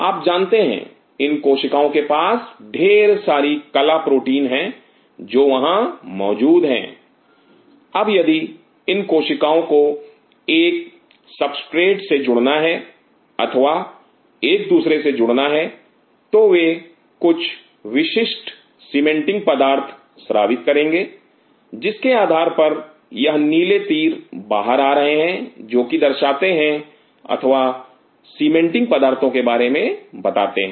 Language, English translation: Hindi, These cells have lot of you know membrane proteins which are setting there, now if these cells have to adhere to a substrate or adhere to each other they secrete specific cementing materials and by virtue of which these blue arrows coming out are telling or telling about the cementing materials